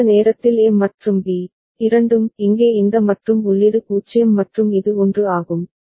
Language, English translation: Tamil, And at that time A and B, both of here this AND input for which it is 0 and this is 1